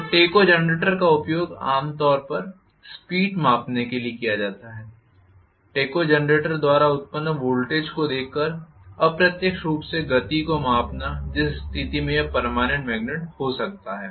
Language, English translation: Hindi, So, tachogenerator is used generally for measuring the speed indirectly by looking at the voltage generated by the tachogenerator itself in which case it may be a permanent magnet